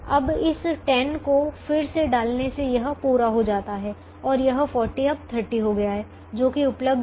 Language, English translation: Hindi, now, by putting this ten again, this is entirely met and this forty has now become thirty, which is the thing that is available now